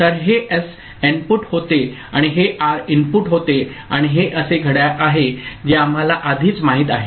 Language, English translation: Marathi, So, this was S input and this was R input and this is the clock that is already known to us